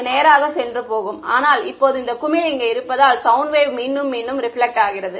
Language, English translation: Tamil, It would just go straight through and through, but now because this blob is here sound wave gets reflected back right